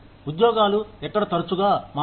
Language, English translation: Telugu, Where jobs, do not change often